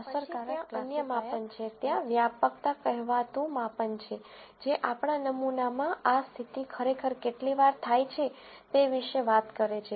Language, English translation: Gujarati, Then there are other measures, there is measure called prevalence, which talks about how often does this condition actually occur in our sample